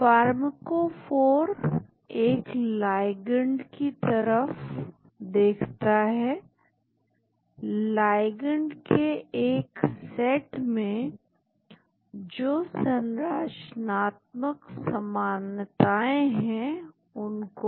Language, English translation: Hindi, Pharmacophore looks at the ligand, the structural features that are common in a set of ligand